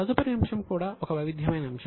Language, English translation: Telugu, The next item is also very interesting